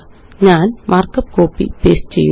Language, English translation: Malayalam, I am copying and pasting the markup